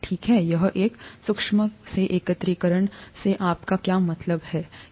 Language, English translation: Hindi, Okay, what do you mean by aggregation from a microscopic sense